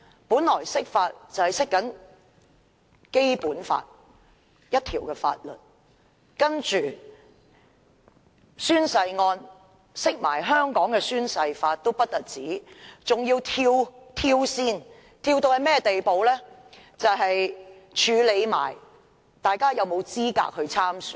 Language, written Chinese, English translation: Cantonese, 本來釋法是要解釋《基本法》的一項條文，但有關宣誓案的釋法不但一併解釋香港的《宣誓及聲明條例》，更一併處理大家有否資格參選。, An interpretation should seek to explain a certain article of the Basic Law but the interpretation made in relation to the oath - taking case also explained the Oaths and Declarations Ordinance of Hong Kong and dealt with the eligibility to stand for elections as well